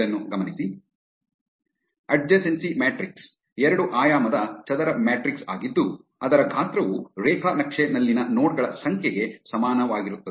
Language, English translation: Kannada, An adjacency matrix is a 2 dimensional square matrix whose size is equal to the number of nodes in the graph